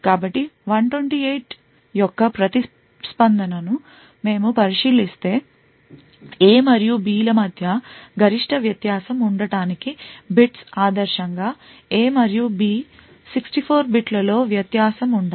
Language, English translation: Telugu, So if we are considering that each response of 128 bits in order to have maximum difference between A and B, ideally A and B should vary in 64 bits